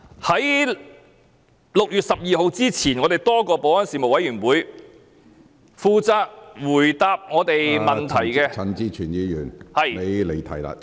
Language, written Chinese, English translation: Cantonese, 在6月12日之前，在立法會保安事務委員會負責回答多位議員問題的......, Prior to 12 June the one who was responsible for answering Members questions in the Legislative Council Panel on Security